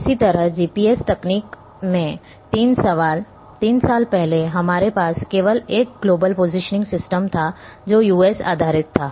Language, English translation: Hindi, Similarly like in GPS technology, three years back we had only one global positioning system which was US based